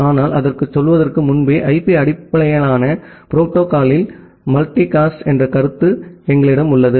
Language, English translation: Tamil, But, even before going to that, in IP based protocol, we have a concept of multicast